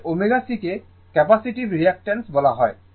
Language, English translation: Bengali, Actually omega is C is called the capacitive reactance right